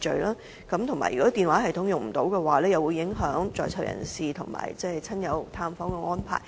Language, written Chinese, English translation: Cantonese, 除此以外，如果電話系統不能使用的話，便會影響在囚人士親友探訪的安排。, Apart from this if the telephone system breaks down relatives and friends of PICs will be affected during their visits